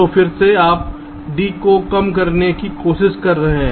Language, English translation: Hindi, now we are trying to find out the minimum d